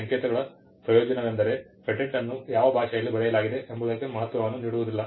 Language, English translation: Kannada, The advantage of these codes is that regardless of in what language the patent is written